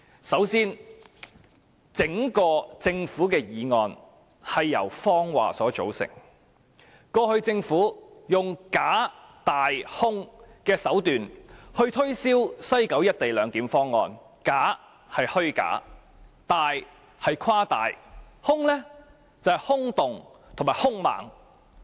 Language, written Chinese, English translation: Cantonese, 首先，整項政府議案也是由謊話組成，政府過去以"假、大、空"的手段推銷西九"一地兩檢"方案，假是虛假，大是誇大，空是空洞及"兇"猛。, First of all the Government motion is entirely made up of lies . In the past the Government promoted the proposal for the co - location arrangement in West Kowloon with exquisitely packaged tactics representing falseness exaggeration and terrible emptiness